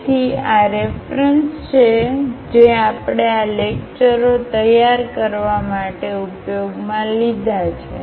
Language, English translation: Gujarati, So, these are the references we have used to prepare these lectures